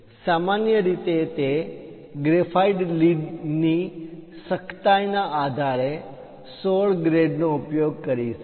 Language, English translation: Gujarati, Usually, 16 grades based on the hardness of that graphite lead we will use